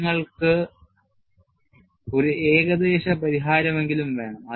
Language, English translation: Malayalam, We want, at least, an approximate solution